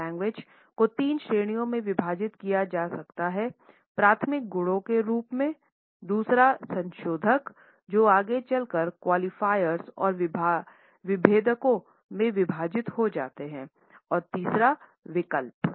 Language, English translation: Hindi, Paralanguage can be further divided into three categories as of primary qualities, secondly, modifiers which can be further subdivided into qualifiers and differentiators and thirdly, the alternates